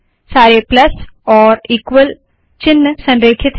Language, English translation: Hindi, All these equal signs and plus signs are aligned now